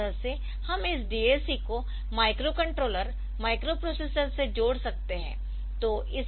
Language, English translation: Hindi, So, this way we can connect it the in devices the so we can connect this DAC to the micro control microcontroller, microprocessor